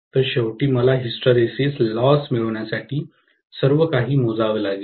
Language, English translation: Marathi, So, ultimately, I have to scale everything to get the hysteresis loss